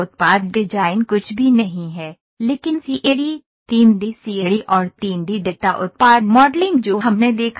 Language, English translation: Hindi, Product design is nothing, but the CAD, 3D CAD and 3D data product modelling that we saw